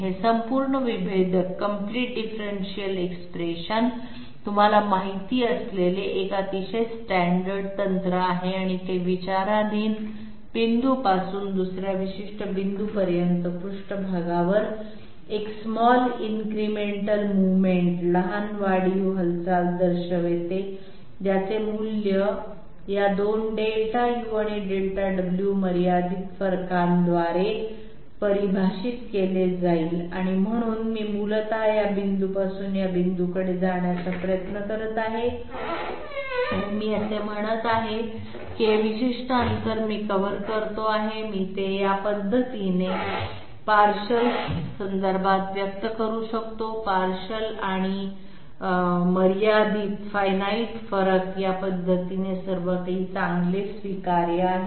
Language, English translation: Marathi, This is a very standard you know expression of the complete differential and it represents a small incremental movement along the surface from the point under consideration to another particular point whose value would be defined by these 2 finite differences Delta u and Delta w, so I am essentially trying to move from this point to this point and I am saying that this particular distance that I am covering, I can express it in terms of the partials in this manner, partials and finite differences in this manner that is all quite good, acceptable, but where does it lead to